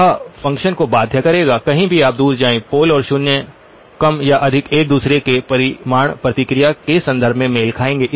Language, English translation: Hindi, It will force the function, anywhere you go further away the pole and zero more or less will match each other in terms of the magnitude response